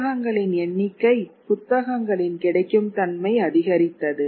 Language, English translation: Tamil, So therefore there is larger availability of books